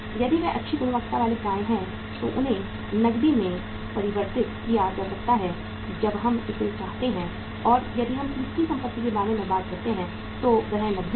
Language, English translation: Hindi, If they are the good quality receivables they can be converted into cash as and when we want it and if we talk about the third asset that is cash